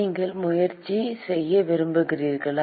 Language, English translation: Tamil, You want to try